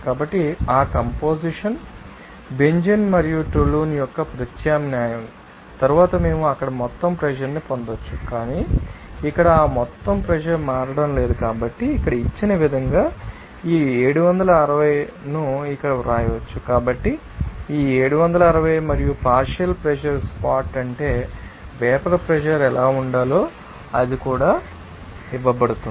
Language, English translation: Telugu, So, after the substitution of that composition, you know that you know Benzene and toluene we can obtain that you know that total pressure there, but here since that total pressure is not changing, so, we can write here this you know that 760 as given here, so, this 760 and also partial you know pressure spot that is what should be the vapour pressure they are also it is given